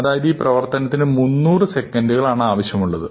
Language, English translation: Malayalam, So, this means, that it will take about 300 seconds